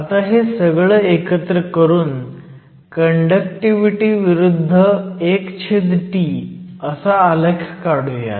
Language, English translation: Marathi, So, let us put this together and then do a plot of the conductivity versus one over temperature